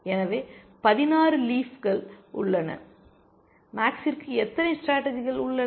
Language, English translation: Tamil, So, there are 16 leaves, and how many choices, how many strategies does max have